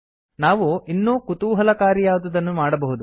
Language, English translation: Kannada, We may do something more interesting